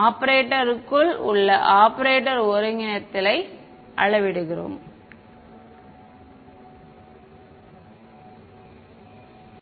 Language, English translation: Tamil, We are scaling the coordinates within the operator within the operator